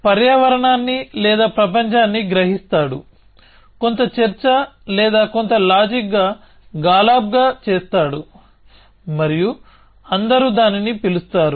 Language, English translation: Telugu, The agent perceives the environment or the world, does some deliberation or some reasoning as Galab and all call it